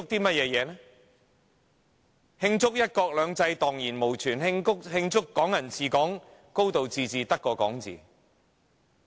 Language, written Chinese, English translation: Cantonese, 難道要慶祝"一國兩制"蕩然無存嗎？慶祝"港人治港"、"高度自治"只屬空談嗎？, Do they want to celebrate the non - existence of one country two systems or that Hong Kong people administering Hong Kong and high degree of autonomy are all empty talk?